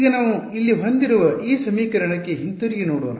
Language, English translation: Kannada, So now, let us go back to this equation that we have over here